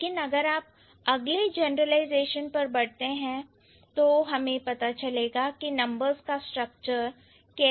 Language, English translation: Hindi, But if you move to the next generalization, we will get an idea how the structure should look like